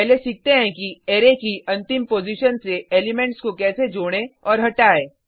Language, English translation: Hindi, Let us first learn how to add and remove elements from last position of an Array